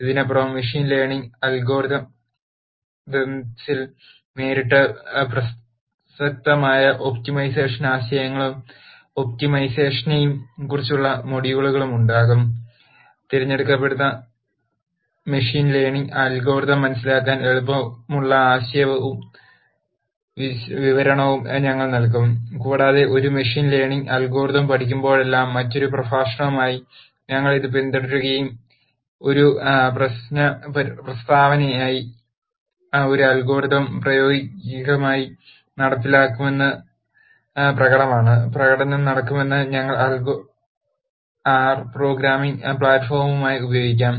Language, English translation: Malayalam, Other than this will also have modules on optimization ideas and optimization that are directly relevant in machine learning algorithms, we will also provide conceptual and descriptions that are easy to understand for selected machine learning algorithms and whenever we teach a machine learning algorithm we will also follow it up with another lecture where the practical implementation of an algorithm for a problem statement is demonstrated and that demonstration would take place and we will use R as the programming platform